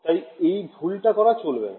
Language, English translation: Bengali, So, do not make that mistake